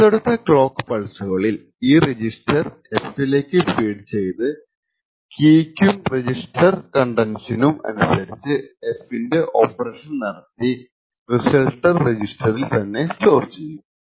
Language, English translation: Malayalam, On subsequent clock cycles this register is then fed to F and there is an operation on F based on this register contents and the key and the results are fed back and stored to the register